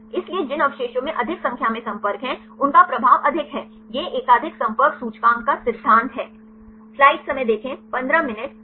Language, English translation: Hindi, So, the residues which have more number of contacts they have a higher influence right this is the principle of multiple contact index